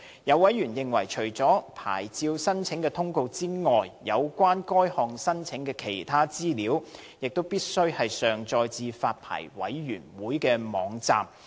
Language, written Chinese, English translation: Cantonese, 有委員認為，除了牌照申請的通告外，有關該項申請的其他資料，亦必須上載至發牌委員會的網站。, Some members consider that in addition to the notice of a licence application other information on the application should also be uploaded onto the Licensing Boards website